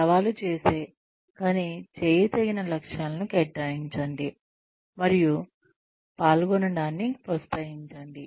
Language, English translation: Telugu, Assign challenging, but doable goals and encourage participation